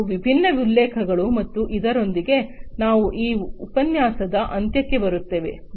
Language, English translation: Kannada, So, these are different references and with this we come to an end of this lecture